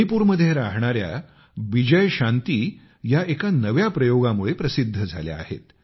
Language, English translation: Marathi, Bijay Shanti of Manipur is in the news for her new innovation